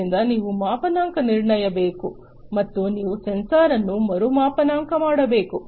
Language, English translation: Kannada, So, you have to calibrate and you have to re calibrate a sensor